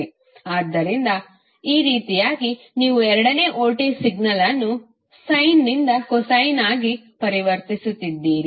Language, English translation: Kannada, So, in this way you are converting the second voltage signal from sine to cosine